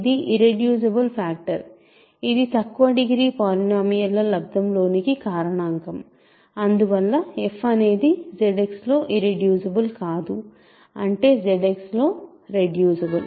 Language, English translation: Telugu, So, it is an irreducible factorization, it is a factorization into product of smaller degree polynomials, hence f is not irreducible in Z X that means, f is reducible in Z X